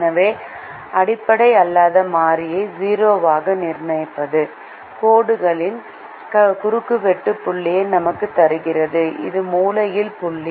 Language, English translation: Tamil, so fixing the non basic variable to zero gives us the point of intersection of the lines, which is the corner point